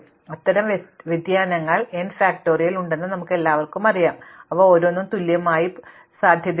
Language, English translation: Malayalam, So, we all know that there are n factorial such permutations and we say that each of them is equally likely